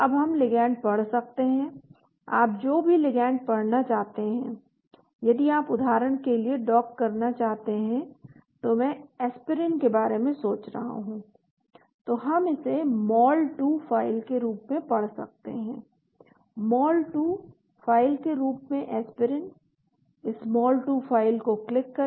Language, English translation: Hindi, Now we can read ligand , whatever ligand you want to read, if you want to dock for example, I am thinking about the Aspirin so we can read it as a mol2 file, Aspirin in the form of mol2 file, click this mol2 file open